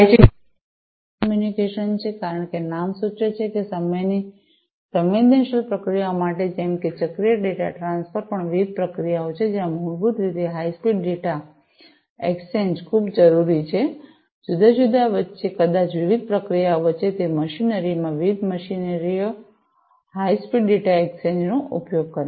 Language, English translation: Gujarati, Second is real time communication as the name suggests used for time sensitive processes, such as cyclic data transfer even different procedures, where basically high speed data exchange is very much required, between different, maybe different processes, different machinery use high speed data exchange requirements are there in those machinery